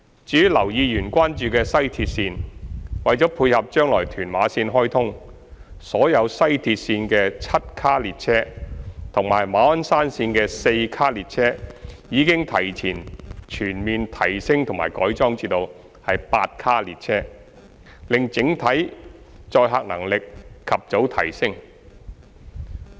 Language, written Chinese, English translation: Cantonese, 至於劉議員關注的西鐵綫，為配合將來屯馬綫開通，所有西鐵綫的7卡列車及馬鞍山綫的4卡列車已提前全面提升及改裝至8卡列車，令整體載客能力及早提升。, Regarding the concern of Mr Kenneth LAU about West Rail Line WRL in preparation for the commissioning of Tuen Ma Line TML in the future all 7 - car trains in WRL and 4 - car trains in MOSL were upgraded and converted to 8 - car trains in advance to enhance overall passenger carrying capacity